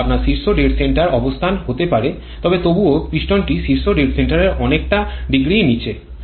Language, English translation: Bengali, This may be your top dead center position but still the piston is a reasonable degree below the top dead center